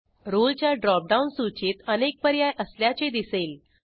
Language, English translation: Marathi, Notice that Role drop down list has more options